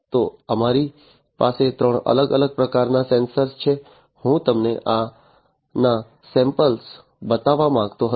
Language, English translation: Gujarati, So, we have three different types of sensors, I just wanted to show you the samples of these